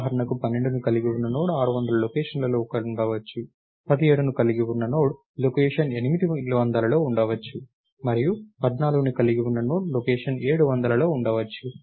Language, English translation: Telugu, may be Node Node containing 12 is at location 600, node containing 17 is at location 800 and Node containing 14 is at location 700 and so, on